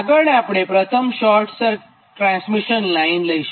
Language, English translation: Gujarati, next we will come first short transmission line